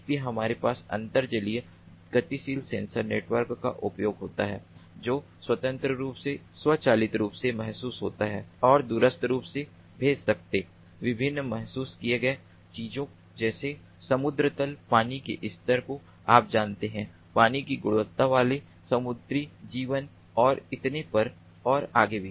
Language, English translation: Hindi, so we have use of underwater mobile sensor networks which can autonomously, automatically sense and remotely send, send the sensed parameters of different things, such as the sea level, water level, so you know ah